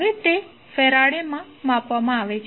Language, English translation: Gujarati, Now, it is measured in farads